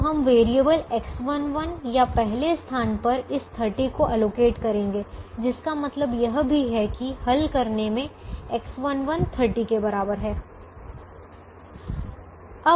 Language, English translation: Hindi, so thirty we will allocate to the variable x one one or to the first position, which also means that x one one is equal to thirty in the solution